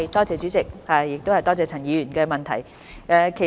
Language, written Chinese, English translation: Cantonese, 主席，多謝陳議員的補充質詢。, President I thank Ms CHAN for her supplementary question